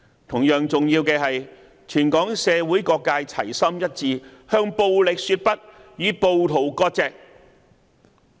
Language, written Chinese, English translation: Cantonese, 同樣重要的是，全港社會各界齊心一致向暴力說不，與暴徒割席。, It is equally important that all sectors in the community of Hong Kong should be united and say no to violence and sever ties with rioters